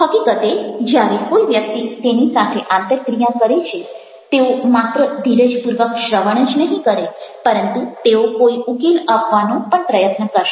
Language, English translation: Gujarati, in fact, whenever a person is interacting with them, they will listen patiently and not only listened, but they will try to give some solution